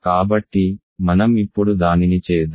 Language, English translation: Telugu, So, let us do that now